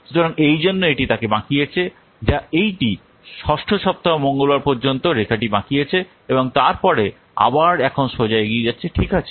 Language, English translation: Bengali, So that's why it has bended the he has what made bent the line up to what this 6th week Tuesday and then again now it is what moving straight forward